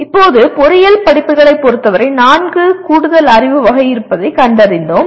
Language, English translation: Tamil, Now in case of engineering courses, we found that we have four additional categories of knowledge